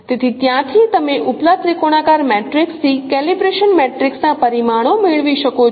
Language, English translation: Gujarati, So from there now you can get the parameters of calibration matrix on the upper triangular matrices